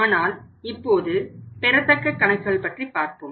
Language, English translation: Tamil, So, now we are going to talk about the accounts receivables